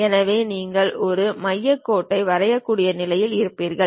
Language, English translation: Tamil, So, you will be in a position to draw a center line